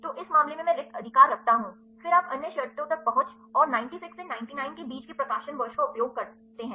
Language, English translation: Hindi, So, in this case I put blank right, then you use the other conditions accessibility and the year of publication between 96 to 99 right